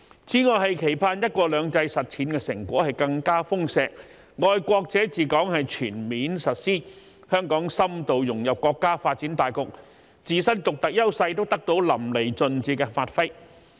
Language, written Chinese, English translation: Cantonese, 此外，期盼"一國兩制"實踐成果更加豐碩，"愛國者治港"全面實施，香港深度融入國家發展大局，自身獨特優勢得到淋漓盡致的發揮。, In addition it is expected that the practice of one country two systems will be more fruitful the principle of patriots administering Hong Kong will be fully implemented Hong Kong will be deeply integrated into the overall development of the country and our unique advantages will be fully utilized